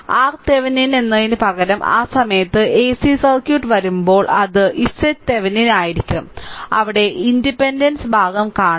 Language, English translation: Malayalam, When ac circuit will come at that time instead of R Thevenin, it will be z Thevenin that there we will see the impedance part right